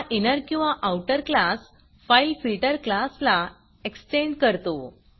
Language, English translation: Marathi, This inner or outer class will extend the fileFilter class